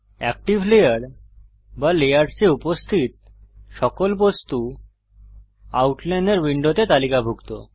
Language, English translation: Bengali, All objects present in the active layer or layers are listed in the Outliner window